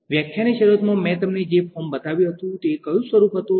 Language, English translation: Gujarati, The form which I showed you at the start of the lecture was which form